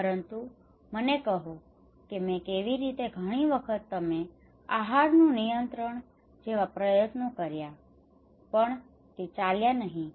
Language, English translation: Gujarati, But tell me how I tried many times I did diet control it did not work